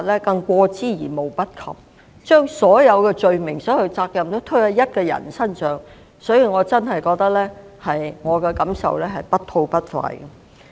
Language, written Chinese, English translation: Cantonese, 他們把所有罪名和責任也推到一個人身上，確實令我感到不吐不快。, The fact that they attributed all guilt and responsibilities to one person really compels me to speak